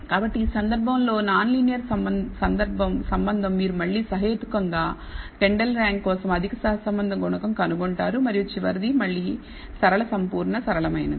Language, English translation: Telugu, So, in this case non linear relationship you find again a reasonably high correlation coefficient for Kendall’s rank and the last one again it is linear perfectly linear